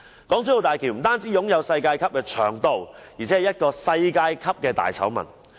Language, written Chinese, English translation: Cantonese, 港珠澳大橋不單擁有世界級的長度，而且是一個世界級的大醜聞。, Not only does the HZMB have world - class length it itself is also a world - class scandal